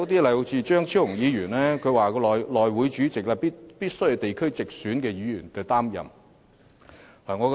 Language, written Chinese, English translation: Cantonese, 例如，張超雄議員建議內務委員會主席須由地區直選議員擔任。, For example Dr Fernando CHEUNG proposed that the Chairman of the House Committee must be a Member elected from the geographical constituency